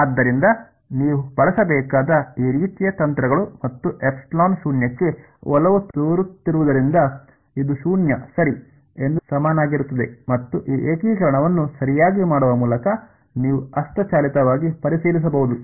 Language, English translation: Kannada, So, these kinds of tricks you should use and just say that as epsilon tends to 0 this is equal to 0 ok and you can manually verify by doing this integration right